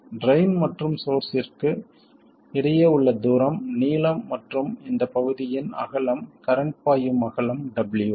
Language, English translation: Tamil, The distance between drain to source is the length and the width of this region through which the current flows that is the width W